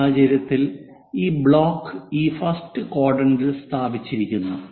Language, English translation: Malayalam, In this case this block is placed in this first quadrant